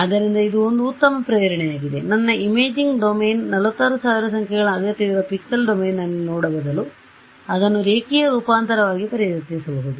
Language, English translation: Kannada, So, this is sort of a very good motivation why, if my imaging domain instead of looking at it in the pixel domain which needs 46000 numbers, if I transform it a linear transformation